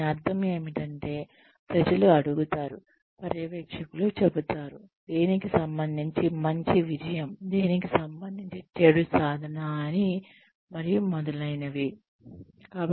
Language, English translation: Telugu, What it means is that, people are asked to, the supervisors say that, a good achievement in relation to what, bad achievement in relation to what, and so on